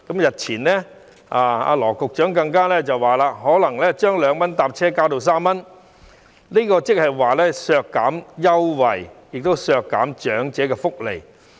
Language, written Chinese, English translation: Cantonese, 日前，羅局長更表示可能會把2元乘車優惠加至3元，這等於是削減優惠，亦是削減長者福利。, Recently Secretary Dr LAW Chi - kwong even said that the concessionary fare of 2 per trip might be increased to 3 per trip . This is tantamount to cutting the concession as well as slashing the welfare for the elderly